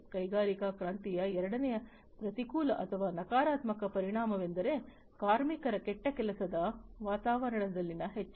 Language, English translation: Kannada, Second adverse or, negative effect of industrial revolution was the increase in the bad working environment of the workers